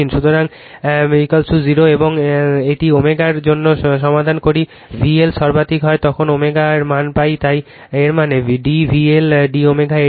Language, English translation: Bengali, So, and what you call is equal to 0, and solve for a omega we obtain the value of omega when V L is maximum right, so that means, d V L upon d omega is equal to this one